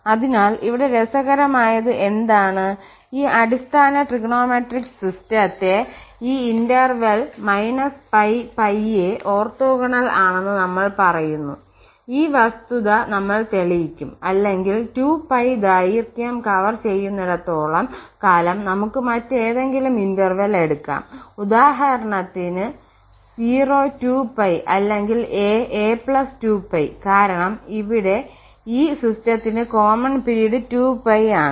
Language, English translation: Malayalam, So, this basic trigonometric function what is interesting here and we will prove this fact that this is orthogonal on this interval minus pi to pi or we can take any other interval for instance 0 to 2 pi or a to a plus 2 pi, as long as we are covering the length this 2 pi then for because this is the common period for this is 2 pi for this system here